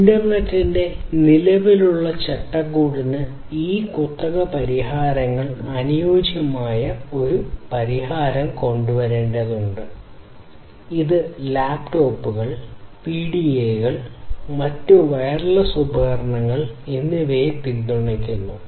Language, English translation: Malayalam, We need to come up with a solution which can fit these proprietary solutions to the existing framework of the internet; which is, which is already supporting laptops PDAs and different other wireless devices